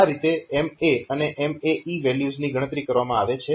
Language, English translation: Gujarati, So, this MA and MA E values are calculated